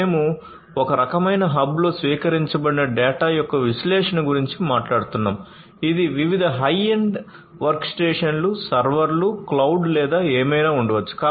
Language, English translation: Telugu, We are talking about analysis of the data that is informed that is received at some kind of a hub which will be comprised of different high end workstations, servers, cloud or whatever